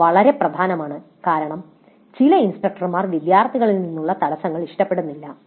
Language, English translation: Malayalam, This again very important because some of the instructors do dislike interruptions from the students